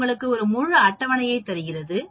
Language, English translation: Tamil, As you can see it gives you in the entire table